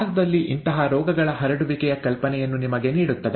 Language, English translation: Kannada, Gives you an idea of the prevalence of such diseases in India